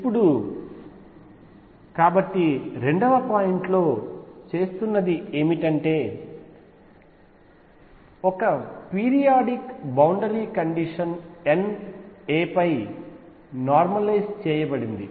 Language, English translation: Telugu, Now so, what the 2 point are making is that one periodic boundary condition over N a and 2 wave function normalized over N a